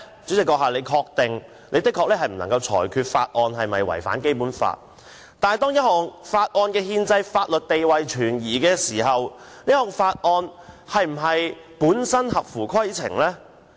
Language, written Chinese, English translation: Cantonese, 主席的確不能裁決法案是否違反《基本法》，但當一項法案的憲制法律地位存疑時，這項法案本身是否合乎規程呢？, Indeed the President cannot determine if a bill has contravened the Basic Law but if there are doubts about the constitutional and legal status of the bill is the bill still in order?